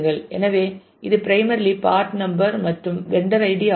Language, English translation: Tamil, So, it is primarily part number and vendor id